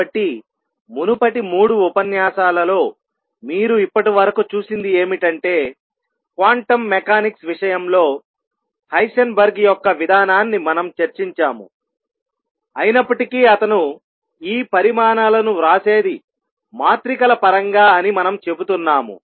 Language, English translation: Telugu, So, you have seen so far in the previous 3 lectures that we have discussed Heisenberg’s approach to quantum mechanics although we have been saying that what he writes these quantities are in terms of matrices at the time when he did it, he did not know that he was dealing with matrices